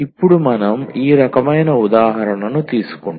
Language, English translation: Telugu, Now, we take this example of this kind